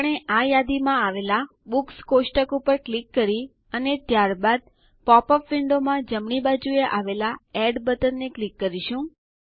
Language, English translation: Gujarati, We will do this by clicking on the Books table in the list and then clicking on the Add button on the right in the popup window